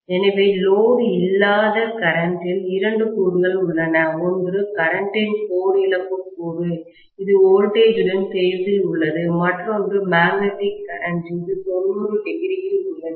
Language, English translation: Tamil, So, the no load current has two components, one is core loss component of current, which is in phase with the voltage, the other one is the magnetising current, which is at 90 degree